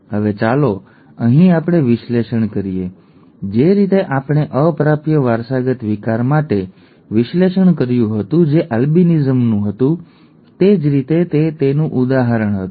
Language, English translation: Gujarati, Now let us do the analysis here, the same way that we did analysis for a recessively inherited disorder which was albinism, it was an example of that